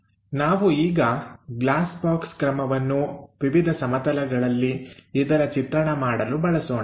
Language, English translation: Kannada, Now let us use glass box method to construct these views